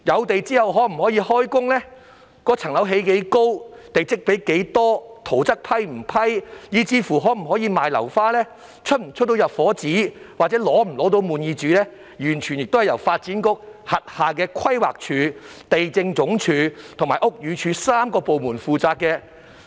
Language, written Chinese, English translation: Cantonese, 訂立開始施工日期、樓宇高度、地積比率、審批圖則，以至出售樓花、發出入伙紙、滿意紙等，均由發展局轄下的規劃署、地政總署和屋宇署3個部門負責。, The Planning Department the Lands Department and the Buildings Department under the Development Bureau are duty bound to set commencement dates of works impose building height and plot ratio restrictions approve building plans pre - sale uncompleted flats as well as issue occupation permits and Certificates of Compliance